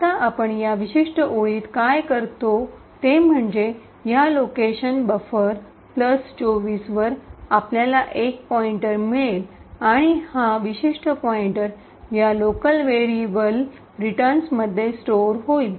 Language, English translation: Marathi, Now, what we do in this particular line over here is that at this location buffer plus 24 we obtain a pointer and this particular pointer is stored in this local variable return